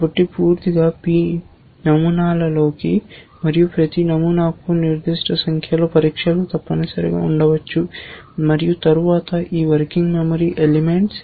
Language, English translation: Telugu, So, k into p patterns totally and each pattern may have a certain number of tests essentially and then, all these working memory elements